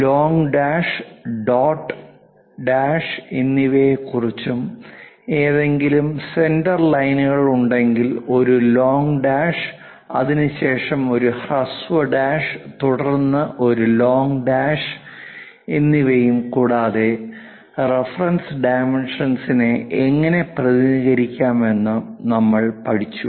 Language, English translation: Malayalam, If there are any center lines with, long dash, dot and dash, a long dash, followed by short dash, followed by long dash and also, we learned about how to represents reference dimension